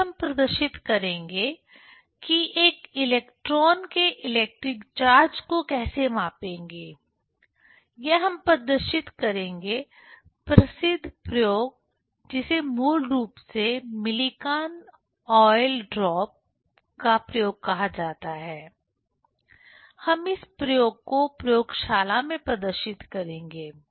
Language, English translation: Hindi, Next we will demonstrate how to, how to measure the electric charge of a single electron by that experiment, famous experiment that is called basically Millikan s oil drop experiment; we will demonstrate this experiment in laboratory